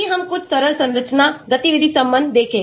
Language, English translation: Hindi, Let us look at some simple structure activity relation